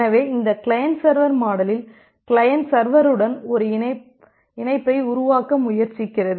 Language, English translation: Tamil, So in this client server model, the client is trying to make a connection with the server